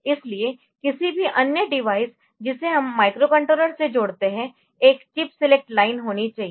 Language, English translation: Hindi, So, just like any other device that we connect with microcontroller so, there has to be a chip select line